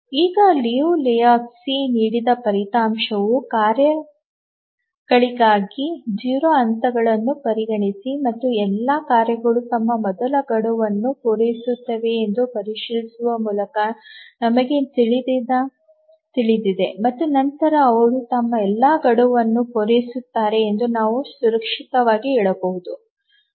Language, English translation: Kannada, Now we know the result given by Liu Lehuzki that consider zero phasing for the tasks and check if all the tasks meet their first deadline and then we can safely say that they will meet all their deadlines